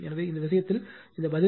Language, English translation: Tamil, So, in this case this answer is 12